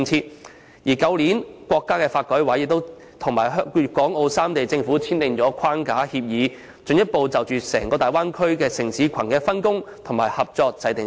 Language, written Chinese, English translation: Cantonese, 中華人民共和國國家發展和改革委員會亦於去年與粵港澳三地政府簽訂一項框架協議，進一步就整個大灣區城市群的分工及合作制訂機制。, The National Development and Reform Commission of the Peoples Republic of China also signed a Framework Agreement last year with the Governments of the three places of Guangdong Hong Kong and Macao to provide for a mechanism for the division of work and cooperation in the whole city cluster of the Bay Area